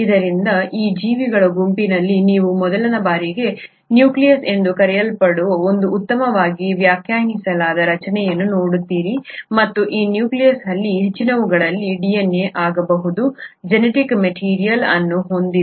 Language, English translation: Kannada, So in this group of organisms, you for the first time see a very well defined structure which is called as the nucleus and it is this nucleus which houses the genetic material which can be DNA in most of them